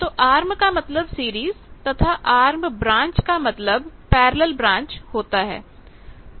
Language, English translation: Hindi, So, arm means series arm branch means a parallel branch